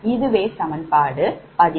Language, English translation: Tamil, this is equation eleven